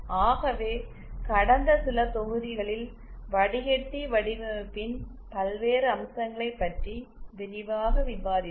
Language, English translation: Tamil, So in over all in past few modules we had extensively discussed the various aspects of filter design